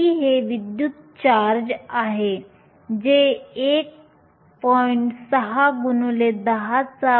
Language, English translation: Marathi, e is the electric charge, which is 1